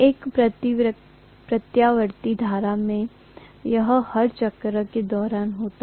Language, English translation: Hindi, In an alternating current, this happens during every cycle